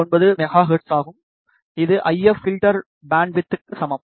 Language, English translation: Tamil, 69 megahertz, which is equal to the if filter bandwidth